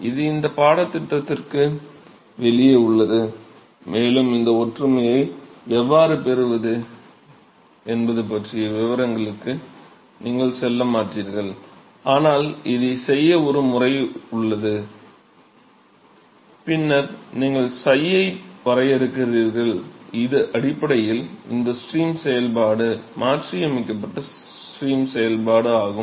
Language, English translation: Tamil, It just out of the scope of this course and you will not go into the details of how to get these similarity, but there is a formal method to do this and then you define psi which is essentially this stream function, the modified stream function